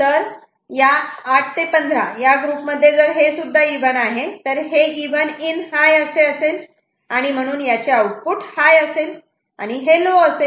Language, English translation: Marathi, Now, in this particular group you may 8 to 15, if it is also even, so even and this is even in high, so the output will be this one will high, and this one will low right